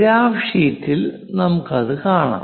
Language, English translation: Malayalam, Let us look at that on the graph sheet